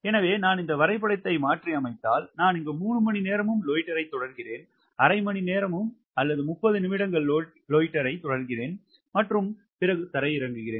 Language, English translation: Tamil, ok, so if i modify this diagram, i write here: loiter three hours and loiter here also for half hour, half an hour or thirty minutes, then land